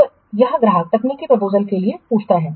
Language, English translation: Hindi, So, here the customer asks for technical proposals